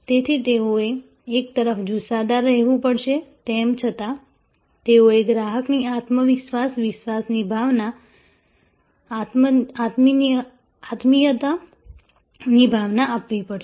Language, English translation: Gujarati, So, they have to one hand remain this passionate, yet they have to a give that sense of confidence, sense of trust, sense of involvement to the client